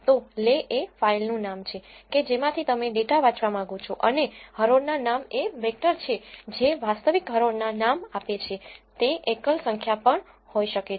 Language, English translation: Gujarati, So, le is the name of the file from which you want to read the data and row names is the vector giving the actual row names, could also be a single number